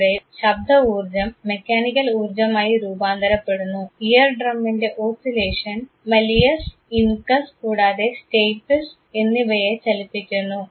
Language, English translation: Malayalam, Here sound energy is transformed into mechanical energy, the oscillation of the ear drum makes the malleus ,incus, and stapes move